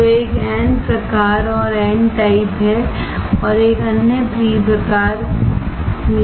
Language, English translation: Hindi, So, one is n type and another one is p type